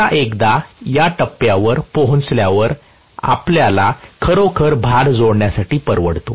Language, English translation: Marathi, Now once it reaches this point, we can actually afford to connect the load